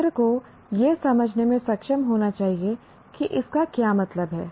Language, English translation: Hindi, Students should be able to understand it what it means